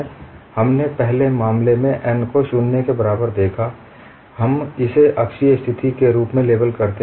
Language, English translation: Hindi, First we saw the case n equal to 0, we label that as an axis symmetric situation